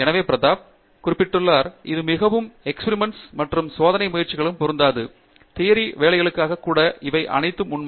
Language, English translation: Tamil, So, I mean Prathap was mentioning, it is experiments a lot and it does not necessarily apply only for experimental work, even for theoretical work all these things are true